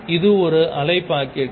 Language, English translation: Tamil, This is a wave packet